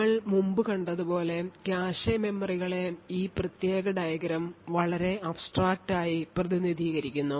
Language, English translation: Malayalam, As we have seen before the cache memories could be very abstractly represented by this particular figure